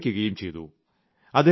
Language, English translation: Malayalam, Then he retired